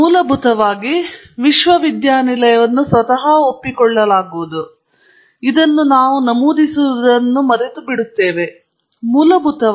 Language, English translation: Kannada, Basically, the university itself is conceded somehow we forget to mention this, and I think we ourselves forget it